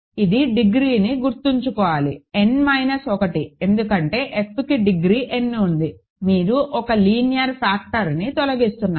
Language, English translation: Telugu, And this will have degree remember, is n minus 1 because F has degree n, you are removing 1 linear factor